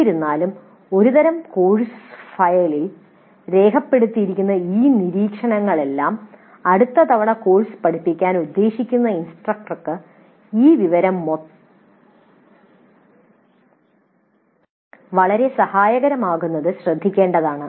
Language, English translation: Malayalam, Still it is important to note that all these abbreviations which are recorded in a kind of a course file would be very helpful for the instructor who is planning to teach the course the next time